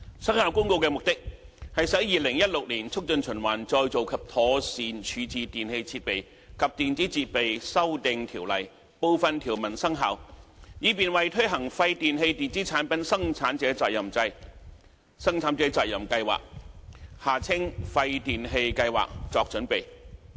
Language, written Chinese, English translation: Cantonese, 《生效公告》的目的，是使《2016年促進循環再造及妥善處置條例》部分條文生效，以便為推行廢電器電子產品生產者責任計劃作準備。, The purpose of the Commencement Notice is to bring some provisions of the Promotion of Recycling and Proper Disposal Amendment Ordinance 2016 into operation in order to prepare for the implementation of a producer responsibility scheme PRS for waste electrical and electronic equipment WEEE